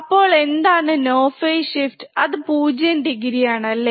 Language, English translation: Malayalam, So, what is no phase shift it is a 0 degree, right